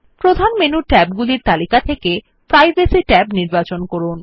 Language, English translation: Bengali, Choose the Privacy tab from the list of Main menu tabs